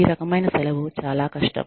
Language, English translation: Telugu, This type of leave, is very difficult